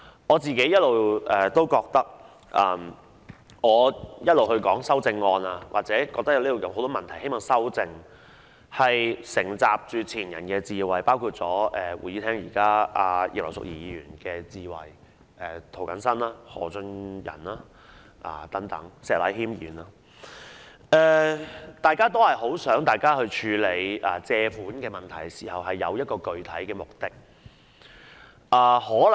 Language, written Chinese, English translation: Cantonese, 我認為我一直以來就修訂議案的討論或指出眾多需要修正的問題，其實是承襲前人的智慧，包括會議廳內的葉劉淑儀議員，以至涂謹申議員、何俊仁議員和石禮謙議員，大家也希望在處理借款問題時有具體目的。, I think I have actually been discussing the amending motions or pointing out a number of issues to be rectified with the wisdom inherited from our predecessors including Mrs Regina IP now in the Chamber as well as Mr James TO Mr Albert HO and Mr Abraham SHEK who all hope that there will be a specific purpose when dealing with the borrowings